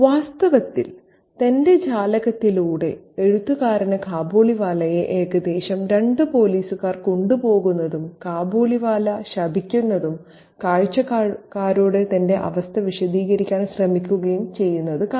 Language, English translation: Malayalam, In fact, through his window, the writer can see the Kabiliwala being taken away roughly by two police and the Kabiliwala is cursing and trying to explain his situation to the onlookers